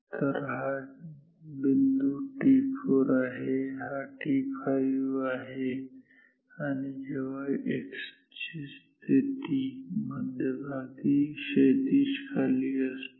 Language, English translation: Marathi, So, this point is t 4, t 5 is the point when x position is at the centre horizontal descent at the centre